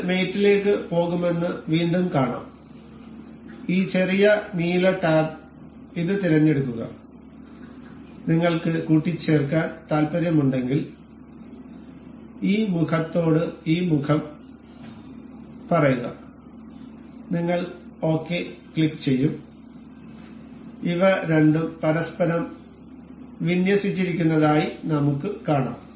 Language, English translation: Malayalam, Once again we can see it will go to mate, this little blue blue tab select this and if you want to mate this say this face to this face and we will click ok, we can see these two are aligned with each other